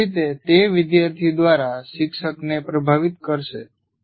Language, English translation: Gujarati, In either way, it will influence the learning by the student